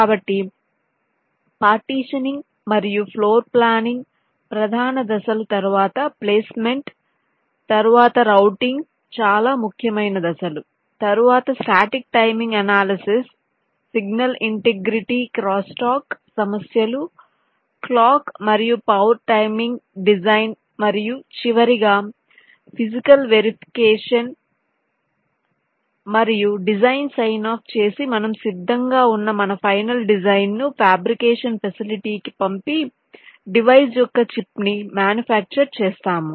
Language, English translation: Telugu, so the main steps are partitioning and floor planning, followed by placement, then the very important steps of routing, then static timing analysis, signal integrity, crosstalk issues, clock and power timing design and finally physical verification and design sign off when we are ready to send our final design to the fabrication facility for the, for the ultimate manufacturing of the device, for the chip